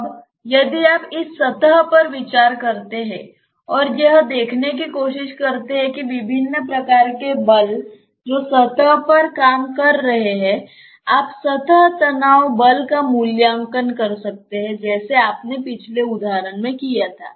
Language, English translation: Hindi, Now, if you consider this surface and try to see that, what are the different types of forces which are acting on the surface, you may evaluate the surface tension force just like what you did in the previous example